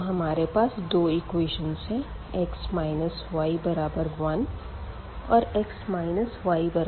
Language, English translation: Hindi, So, we have these two equations x minus y is equal to 1 and x minus y is equal to 2